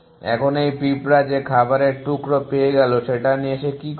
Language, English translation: Bengali, Now, this ant which is found this piece of food what was it do